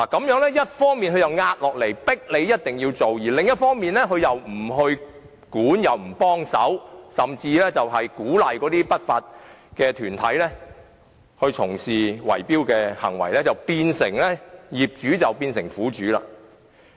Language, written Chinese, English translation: Cantonese, 一方面，政府施壓迫業主要進行維修；而另一方面，政府卻不規管違法行為或提供協助，甚至鼓勵不法團體從事圍標行為，令業主變成苦主。, On the one hand the Government pressurizes owners into carrying out maintenance and on the other it does not regulate illegal activities nor provide any assistance and even encourage unlawful groups to engage in bid - rigging turning owners into victims